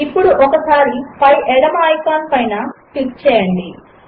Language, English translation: Telugu, Let us click once on the top left icon